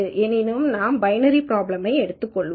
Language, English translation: Tamil, So, let us anyway stick to binary problem